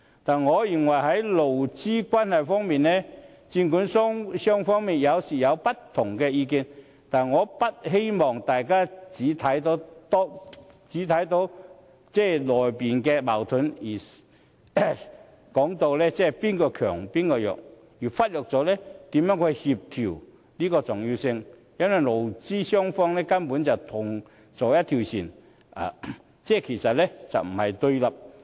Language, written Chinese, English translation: Cantonese, 但我認為在勞資關係方面，儘管雙方有時會有不同意見，但我不希望大家只看到當中的矛盾，甚或說哪一方是強、哪一方是弱，而忽略了協調的重要性。因為勞資雙方根本是同坐一條船，不是互相對立的。, Regarding labour relations despite the different views of the two sides at times I hope that we will not only focus on the conflicts or saying that which is the stronger or weaker side and forget the importance of making compromises because the employers and employees are actually in the same boat and they are not antagonistic to each other